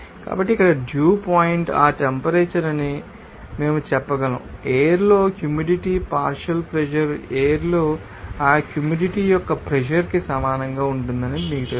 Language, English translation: Telugu, So, we can say that simply here that dew point will be that temperature, when this you know moisture partial pressure in the air will be you know equal to the pressure of that moisture in the air